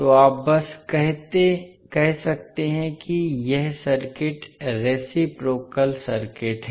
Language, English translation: Hindi, So, you can simply say that this particular circuit is reciprocal circuit